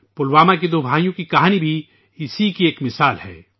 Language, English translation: Urdu, The story of two brothers from Pulwama is also an example of this